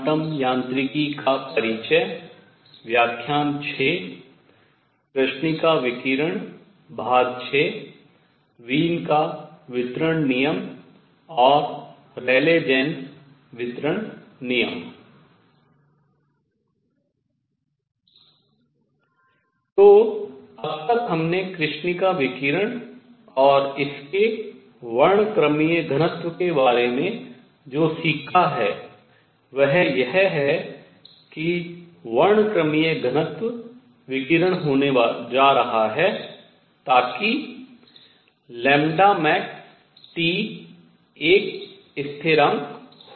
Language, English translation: Hindi, So, what we have learnt so far about black body radiation and its spectral density is that the spectral density is going to be the radiation is such that lambda max times T is a constant